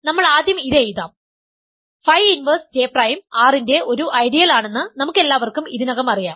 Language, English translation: Malayalam, So, We I will first write this, we all we know already that phi inverse J prime is an ideal of R right